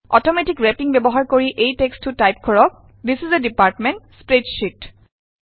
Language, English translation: Assamese, Using Automatic Wrapping type the text, This is a Department Spreadsheet